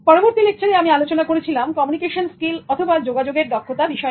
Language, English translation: Bengali, In the next lecture, I started focusing on communication skills